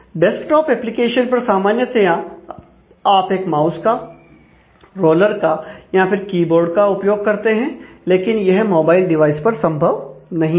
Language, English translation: Hindi, In a desk of application you will typically use a mouse, or a roller and keyboard to navigate, but that is not possible or that is not easy in terms of a mobile device